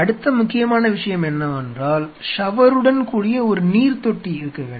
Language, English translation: Tamil, Next important thing is that you have to have a sink along with a shower